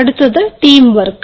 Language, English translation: Malayalam, then comes the teamwork